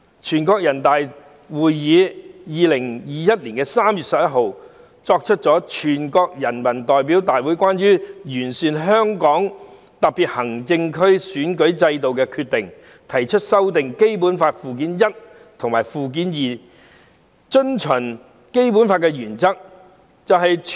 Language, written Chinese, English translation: Cantonese, 全國人民代表大會在2021年3月11日作出了《全國人民代表大會關於完善香港特別行政區選舉制度的決定》，提出修訂《基本法》附件一和附件二應遵循的基本原則。, The National Peoples Congress made the Decision of the National Peoples Congress on Improving the Electoral System of the Hong Kong Special Administrative Region on 11 March 2021 proposing the basic principles to be followed in amending Annexes I and II to the Basic Law